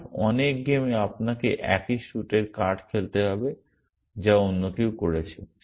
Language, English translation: Bengali, So, in many games in which you have to play the card of the same suit at somebody else has done